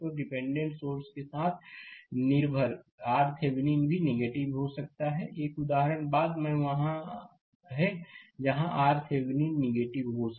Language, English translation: Hindi, So, dependent with dependent sources, R Thevenin may become negative also; one example is there later right, there where R Thevenin is negative